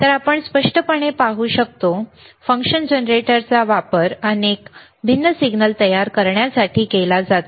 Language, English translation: Marathi, So, we can see clearly, function generator is used to create several different signals, all right